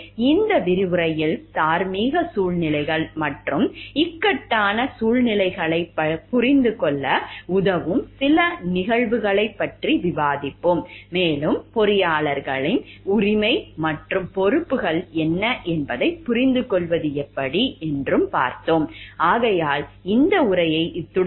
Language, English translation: Tamil, In this lectures we will be discussing few cases which will help us to understand the moral situations and dilemma and how we can understand what are the rights and responsibilities of the engineers with respect to it